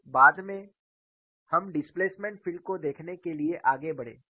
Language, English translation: Hindi, Now, what we will look at is, we will go and find out the displacement field